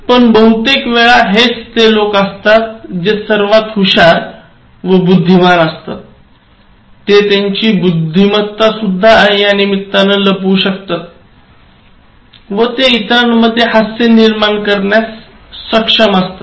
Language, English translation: Marathi, But most of the time, these are the people who are most intelligent and then because of their intelligence, they are able to cover up their intelligence and then they are able to evoke laughter in others